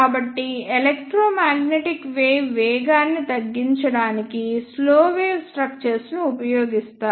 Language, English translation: Telugu, So, slow wave structures are used to slow down the electromagnetic wave